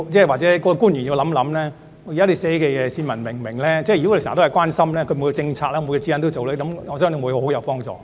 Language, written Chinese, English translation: Cantonese, 或者官員要想想，他們所寫的內容市民會否明白，如果時常留心，每個政策、指引都這樣做，我相信會很有幫助。, Perhaps officials should consider whether their written texts are comprehensible to members of the public . If they bear this in mind and handle every policy and guideline carefully I believe there will be marked improvements